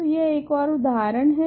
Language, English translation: Hindi, So, this is another example